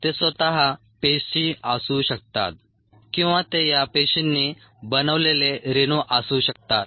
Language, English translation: Marathi, they could be cells themselves or they could be molecules made by these cells